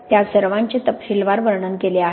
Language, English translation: Marathi, They are all described in quite a lot of detail